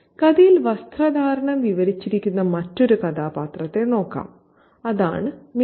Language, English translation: Malayalam, And let's look at another character whose dress is described in the story and that is Minnie